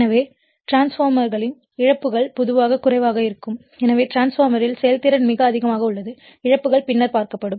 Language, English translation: Tamil, So, losses in transformers are your generally low and therefore, efficiency of the transformer is very high, losses we will see later